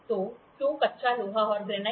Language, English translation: Hindi, So, why cast iron and granite